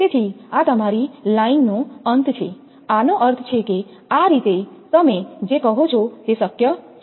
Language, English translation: Gujarati, So, this is your line end, that means, this way it is your what you call it is possible